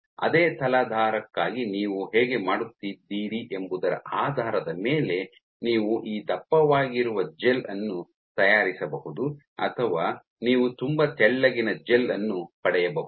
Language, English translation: Kannada, So, what depending on how you are doing for the same substrate you might make a gel which is this thick or you might get a gel which is very thin